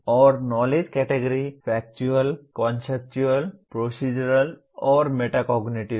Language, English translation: Hindi, And Knowledge Categories are Factual, Conceptual, Procedural, and Metacognitive